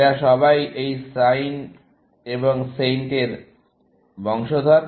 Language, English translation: Bengali, These are all the descendants of this SIN and SAINT, essentially